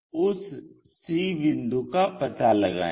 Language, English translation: Hindi, So, locate that c point